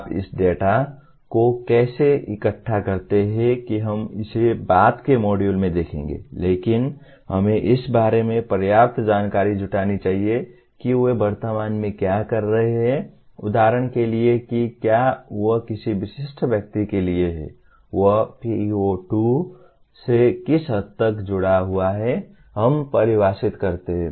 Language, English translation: Hindi, How do you collect this data, that we will see it in a later module but we must gather enough information about what they are doing at present to say whether for example a specific individual, to what extent he is associated with PEO2 let us say